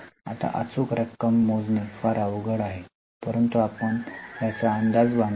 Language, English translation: Marathi, Now, it is very difficult to calculate the exact amount